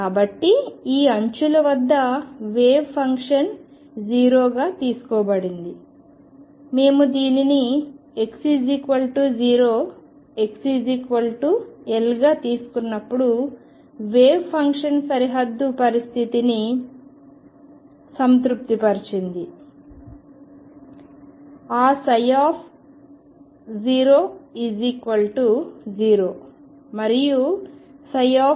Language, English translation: Telugu, So, the wave function was taken to be 0 at these edges, when we took this to be x equals 0 and x equals L the wave function satisfied the boundary condition; that psi at 0 0 and psi at L was 0